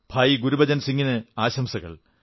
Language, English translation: Malayalam, Congratulations to bhaiGurbachan Singh ji